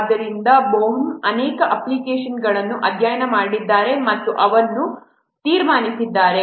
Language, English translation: Kannada, So that point, Bohem has studied many applications and he has concluded this